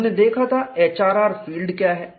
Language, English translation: Hindi, And we would see how the HRR field looks like